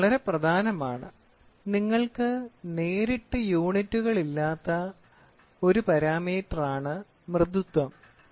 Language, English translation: Malayalam, This is very important because softness is one parameter where directly you do not have any units